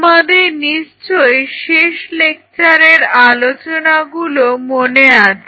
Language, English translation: Bengali, So, if you guys recollect in the last lecture we talked about